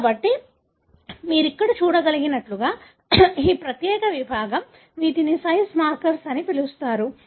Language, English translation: Telugu, So, as you can see here, this particular segment, these are called as size markers